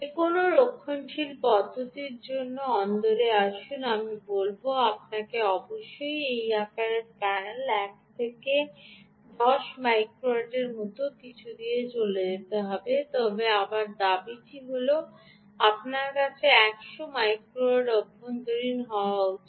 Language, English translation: Bengali, come to indoor, for any conservative approach i would say you must go away with ah, something like one to ten microwatts ah of this size panel, but the claim again is that you should get up to hundred microwatt indoor